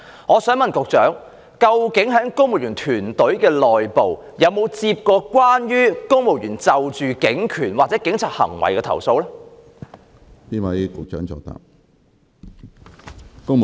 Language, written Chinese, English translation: Cantonese, 我想問局長，在公務員團隊之內，曾否接獲公務員就警權或警察行為而提出的投訴？, I would like to ask the Secretary As far as the civil service team is concerned have any civil servants lodged complaints about police powers or police conduct?